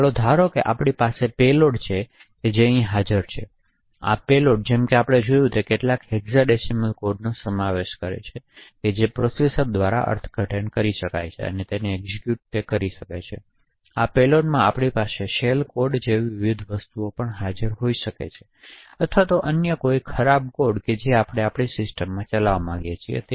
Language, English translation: Gujarati, So let us assume that we have a payload which is present here and this payload as we have seen before comprises of some hexadecimal codes which can be interpreted by the processor and will execute, in this payload we could have various things like a shell code or any other malicious code which we want to execute in that particular system